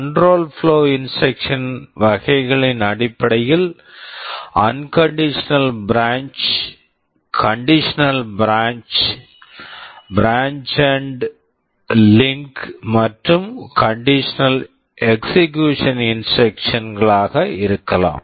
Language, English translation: Tamil, In terms of the types of control flow instructions, there can be unconditional branch, conditional branch, branch and link, and conditional execution instructions